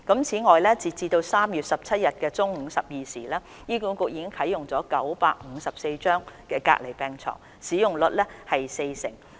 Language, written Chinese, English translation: Cantonese, 此外，截至3月17日中午12時，醫管局已啟用954張隔離病床，使用率約為四成。, Furthermore as at noon of 17 March 954 isolations beds were being used by HA with occupancy of around 40 %